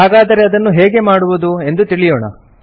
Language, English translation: Kannada, So let us learn how to do this